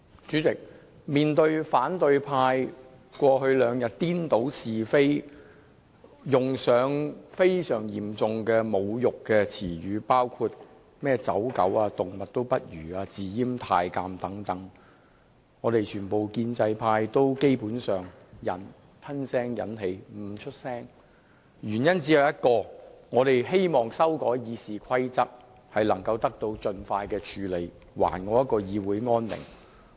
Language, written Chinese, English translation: Cantonese, 主席，面對反對派議員過去兩天顛倒是非，用上非常嚴重的侮辱詞語，包括"走狗"、"動物也不如"、"自閹太監"等，我們全部建制派議員基本上都吞聲忍氣，默不作聲，原因只有一個，就是我們希望修改《議事規則》的建議得以盡快處理，使議會恢復安寧。, President in the past two days opposition Members have confounded right and wrong and used seriously humiliating expressions such as lackeys worse than animals and self - castrated eunuchs . All pro - establishment Members have basically swallowed the humiliation and remained silent for one reason . We hope that the proposed amendments to the Rules of Procedure RoP will be dealt with expeditiously so as to restore peace in this Council